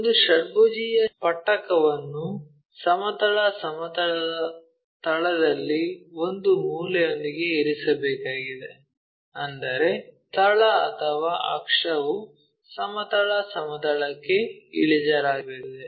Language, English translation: Kannada, A hexagonal prism has to be placed with a corner on base of the horizontal plane, such that base or axis is inclined to horizontal plane